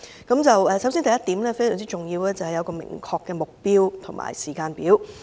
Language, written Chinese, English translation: Cantonese, 第一項非常重要，便是設立明確的目標及時間表。, The first point is very important and that is to set a specific target and timetable